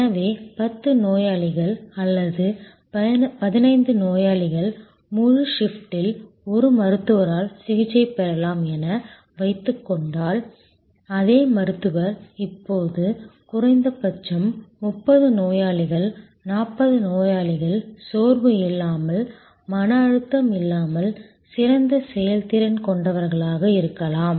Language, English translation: Tamil, So, as suppose to 10 patients who could be treated or 15 patients by a doctor in the whole shift, the same doctor could now atleast treat may be 30 patients, 40 patients without fatigue, without stress and at a higher level of good performance